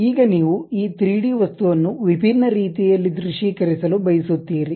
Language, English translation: Kannada, Now, you would like to visualize this 3D object in different ways